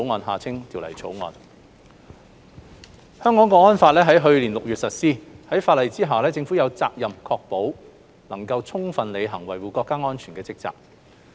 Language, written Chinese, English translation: Cantonese, 《香港國安法》於去年6月實施，法例下政府有責任確保能夠充分履行維護國家安全的職責。, The National Security Law which came into force last June places a duty on the Government to ensure that it can fully discharge its duty in the course of protecting national security